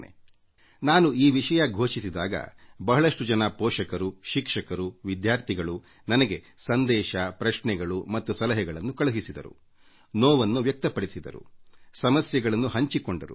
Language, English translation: Kannada, When I'd declared that I would talk on this topic, many teachers, guardians and students sent me their messages, questions, suggestions and also expressed their anguish and narrated their problems